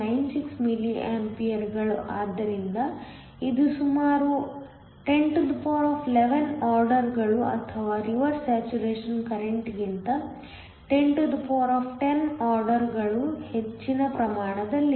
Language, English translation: Kannada, 96 milli amperes, so that is nearly 1011 orders of magnitude or 1010 orders of magnitude higher than the reverse saturation current